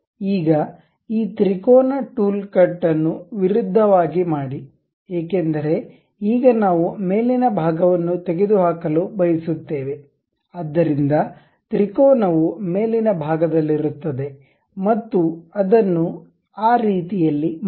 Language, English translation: Kannada, Now, reverse this triangular tool cut because now we want to remove the top portion, so the triangle will be on top side and make it in that way